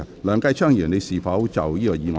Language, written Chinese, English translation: Cantonese, 梁繼昌議員，你是否就這項議案發言？, Mr Kenneth LEUNG are you going to speak on this motion?